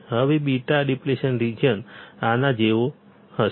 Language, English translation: Gujarati, Now beta depletion region will be like this